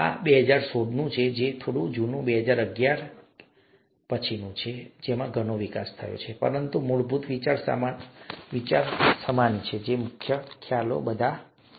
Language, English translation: Gujarati, This is 2016, a slightly old 2011, so there’s a lot of development that has taken place after that, but the basic idea is all the same, the basic concepts are all the same